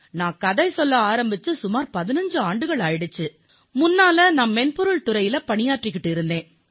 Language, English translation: Tamil, Storytelling began 15 years ago when I was working in the software industry